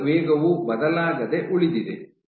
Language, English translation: Kannada, So, your cell speed remained unchanged